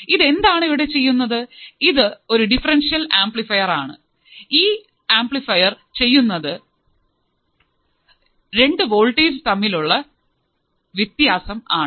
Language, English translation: Malayalam, So, what is it doing, it is the differential amplifier, it is amplifying, it is amplifying the difference of voltage at the output